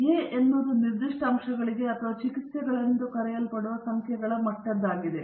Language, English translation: Kannada, A is the number of levels for the particular factor or the so called number of treatments